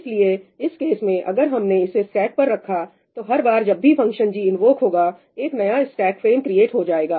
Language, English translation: Hindi, So, in this case, if we put it on the stack, every time the function g gets invoked a new stack frame gets created